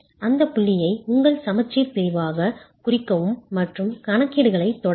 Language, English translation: Tamil, Mark that point as your balance section and continue with the calculations